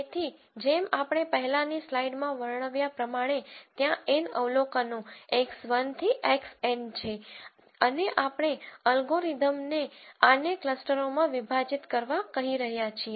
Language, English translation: Gujarati, So, as we described in the previous slide there are N observations x 1 to x N and we are asking the algorithm to partition this into K clusters